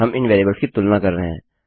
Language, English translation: Hindi, We are comparing these variables